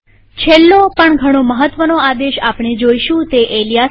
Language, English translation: Gujarati, The last but quite important command we will see is the alias command